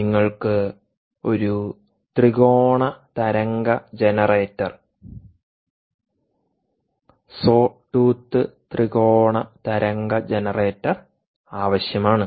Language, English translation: Malayalam, you need a triangular wave generator, sawtooth triangular wave generator